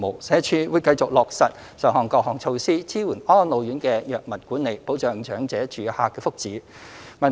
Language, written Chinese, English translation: Cantonese, 社署會繼續落實上述各項措施，支援安老院的藥物管理，保障長者住客的福祉。, SWD will continue to implement the said measures to support RCHEs in drug management and safeguard the well - being of the elderly residents